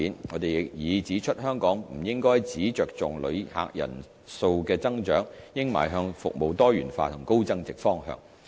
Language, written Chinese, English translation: Cantonese, 我們亦已指出香港不應只着重旅客人數的增長，應邁向服務多元化和高增值方向。, We have also stated that Hong Kong should not merely focus on the growth in tourist number but should also move towards diversified and high value - added services